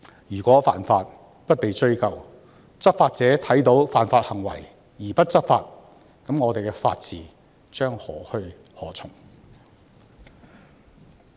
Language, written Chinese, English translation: Cantonese, 如果犯法不被追究，執法者看到犯法行為而不執法，那麼我們的法治將何去何從？, If law - breakers are condoned and law enforcement agencies do not taking enforcement actions against unlawful acts what will happen to our rule of law?